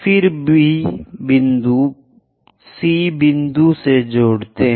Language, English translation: Hindi, Then join B point all the way to C point